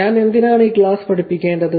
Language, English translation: Malayalam, Why should I teach this class